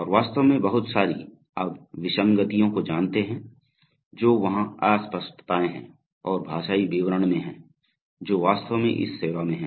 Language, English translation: Hindi, And in fact, a lot of, you know inconsistencies which are there ambiguities which are there in the linguistic description actually service at this time